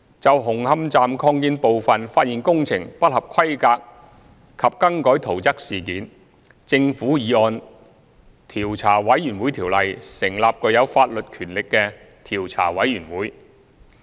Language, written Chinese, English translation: Cantonese, 就紅磡站擴建部分發現工程不合規格及更改圖則事件，政府已按《調查委員會條例》成立具有法律權力的調查委員會。, In respect of the non - compliant works and alterations of construction drawings revealed regarding the Hung Hom Extension the Government has set up the Commission vested with statutory powers under the Commissions of Inquiry Ordinance